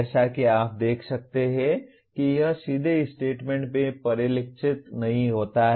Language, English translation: Hindi, As you can see it does not directly get reflected in the statement